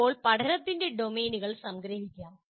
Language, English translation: Malayalam, Now this is how the domains of learning can be summarized